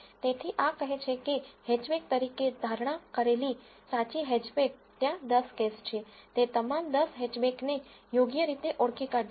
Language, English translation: Gujarati, So, this says that predicted as hatchback truly hatchback there are 10 cases, it has identified all the 10 hatchbacks correctly